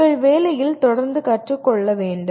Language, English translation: Tamil, You have to learn continuously on the job